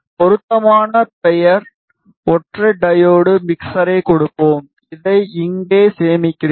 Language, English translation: Tamil, We will give appropriate name single diode mixer, I save this here